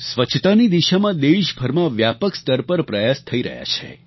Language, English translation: Gujarati, Efforts in the direction of cleanliness are being widely taken across the whole country